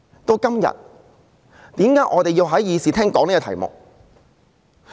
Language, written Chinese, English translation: Cantonese, 到今天，為何我們要在議事廳內討論這題目？, Fast forward to today why do we need to discuss this subject in the Chamber?